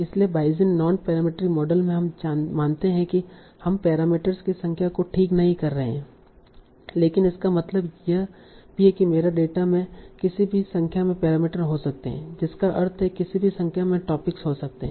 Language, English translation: Hindi, So in Bayesian non parametric models, what we assume is that there is in, so we are not fixing number of parameters, but that also means, okay, my data can have any number of parameters, that means any number of topics